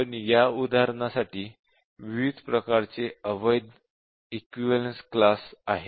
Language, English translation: Marathi, We need to really define different types of invalid equivalence classes